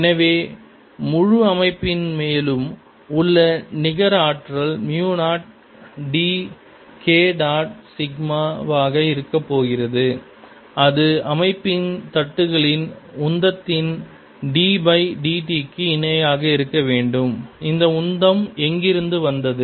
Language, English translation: Tamil, so the net force on the whole system is going to be mu zero d k dot sigma and this should be equal to d by d t of the momentum of the plates of the system